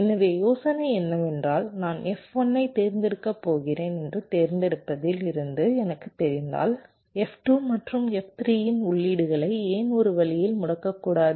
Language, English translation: Tamil, so the idea is so if i know from select that i am going to select f one, so why dont disable the inputs of f two and f three in some way so that signal transitions here and here does not occur, right